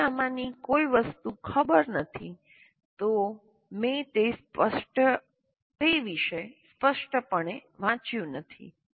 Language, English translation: Gujarati, First of all if I do not know any of these things I haven't read about it obviously I do not know